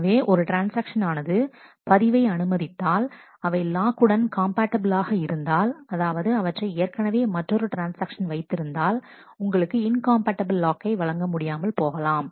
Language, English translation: Tamil, So, if the transaction is granted a log, if it is compatible with the lock that is already held by another transaction, you cannot get an incompatible lock granted to you